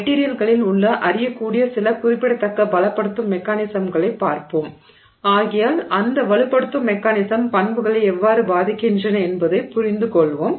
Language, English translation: Tamil, So, we will look at some of the significant strengthening mechanisms that are known to exist in the materials and therefore get a sense of how those strengthening mechanisms impact the property